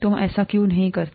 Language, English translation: Hindi, Why don’t you do that